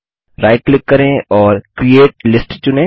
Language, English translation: Hindi, Right Click and say create List